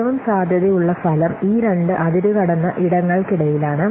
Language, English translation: Malayalam, So, the most likely outcome is somewhere in between these two extremes